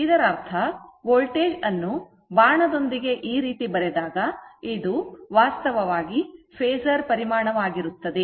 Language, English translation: Kannada, That means voltage when we write this way suppose V arrow, I arrow this is actually phasor quantity, right